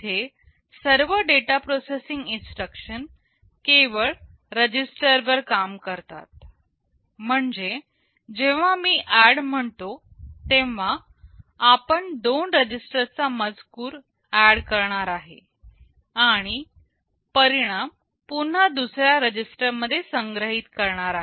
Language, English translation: Marathi, Here all data processing instructions operate only on registers; that means, when I say add we will be adding the contents of two registers and storing the result back into another register